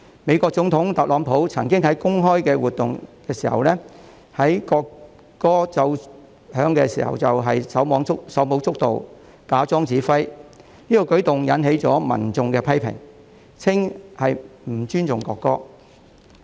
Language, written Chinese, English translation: Cantonese, 美國總統特朗普曾經在公開活動奏響國歌時手舞足蹈，假裝指揮，此舉引起民眾批評，說他不尊重國歌。, President of the United States Donald TRUMP once danced with joy pretending that he was the conductor when the national anthem was played on a public occasion . His act was criticized by the public who alleged that he did not respect the national anthem